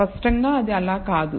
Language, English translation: Telugu, Clearly it is not so